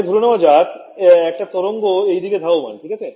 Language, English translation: Bengali, Previously, supposing I took a wave travelling in this way right